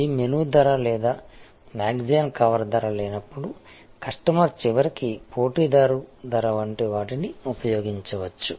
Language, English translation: Telugu, In the absence of this menu price or cover price of the magazine, customer may use something like a competitor pricing ultimately